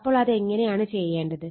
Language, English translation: Malayalam, So, how you will do it